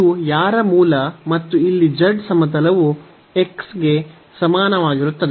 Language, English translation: Kannada, So, whose base is this and the plane here z is equal to x yeah